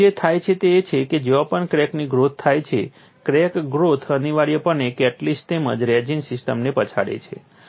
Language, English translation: Gujarati, So, what happens is wherever there is crack growth, the crack growth invariable bump a catalyst as well as the resin system